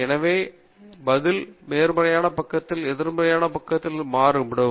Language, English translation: Tamil, So, your response may be varying on the positive side and also on the negative side